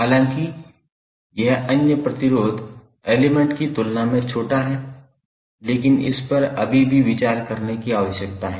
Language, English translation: Hindi, Although it is small as compare to the other resistive element, but it is still need to be considered